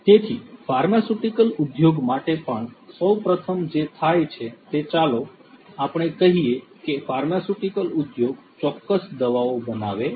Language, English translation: Gujarati, So, for the pharmaceutical industry also for you know first of all what happens is let us say that a pharmaceutical industry makes certain drugs right